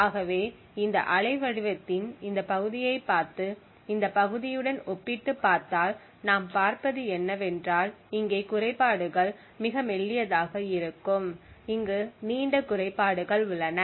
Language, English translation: Tamil, So if you see look at this part of this waveform and compare it with this part what we see is that the glitches are very thin over here while over here we have longer glitches